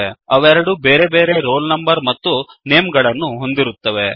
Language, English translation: Kannada, They have different roll numbers and names